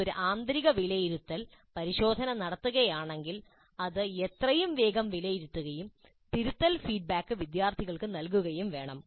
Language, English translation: Malayalam, If you conduct an internal assessment test as quickly as possible, it must be evaluated and feedback must be provided to the students, the corrective feedback